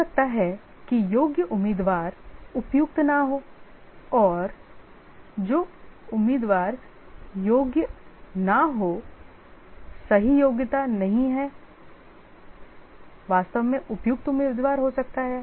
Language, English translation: Hindi, Maybe the eligible candidate may not be suitable and a candidate who is not eligible and a candidate who is not eligible doesn't have the right qualification may be actually the suitable candidate